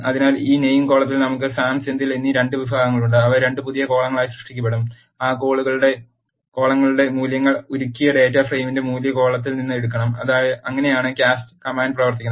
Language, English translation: Malayalam, So, in this name column we have 2 categories Sam and Senthil and those will be created as 2 new columns and the values for those columns, have to be taken from the value column of the melted data frame, that is how the cast command works